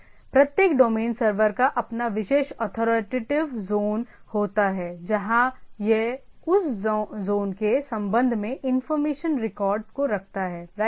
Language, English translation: Hindi, So, every domain server has their particular authoritative zone, where it keeps the information records regarding that zone right